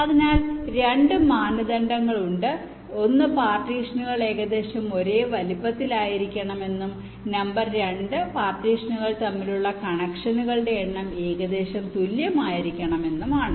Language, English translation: Malayalam, number one, the partitions need to be approximately of the same size, and number two, the number of connections between the partitions has to be approximately equal